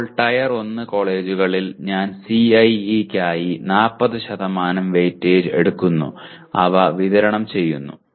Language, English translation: Malayalam, Now, whereas in Tier 1 college, I am taking 40% weightage for CIE and they are distributed